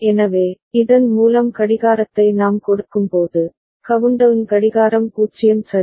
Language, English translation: Tamil, So, when we are giving the clock through this, then the countdown clock is 0 ok